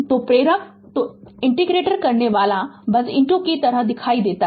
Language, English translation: Hindi, So, inductors so an inductor just look into that